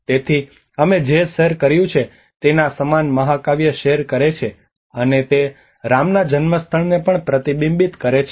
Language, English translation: Gujarati, So they share a similar epics of what we shared and it also reflects to the birthplace of Rama